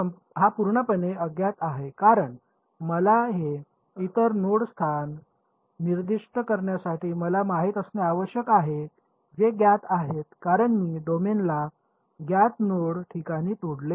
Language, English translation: Marathi, This guy is fully known because all that I need to know to specify this other node location, which are known because I broke up the domain into known node locations